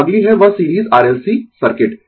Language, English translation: Hindi, So, next is that series R L C circuit